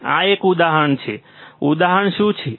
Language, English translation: Gujarati, This is an example, what is the example